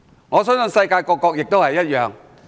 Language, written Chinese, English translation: Cantonese, 我相信世界各國也如是。, I believe that any countries in the world will do the same